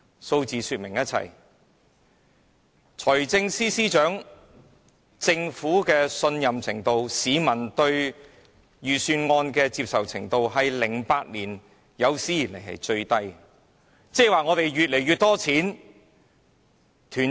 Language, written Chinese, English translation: Cantonese, 數字已說明一切，無論是財政司司長的評分、市民對政府的信任程度或市民對預算案的接受程度，全都是自2008年以來最低的。, The data speaks for itself . The popularity rating of the Financial Secretary the levels of public confidence in the Government or public acceptability of the Budget are at all - time low since 2008